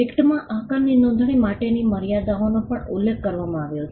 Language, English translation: Gujarati, The limits on registration of shapes are also mentioned in the act